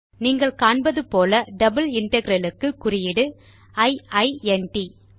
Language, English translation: Tamil, As we can see, the mark up for a double integral is i i n t